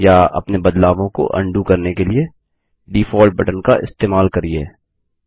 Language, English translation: Hindi, We can also use the Default button to undo all the font size changes we made